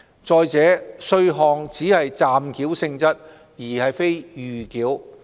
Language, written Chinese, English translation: Cantonese, 再者，稅項只是暫繳性質，而非預繳。, Furthermore the tax is merely provisional in nature and is by no means a prepayment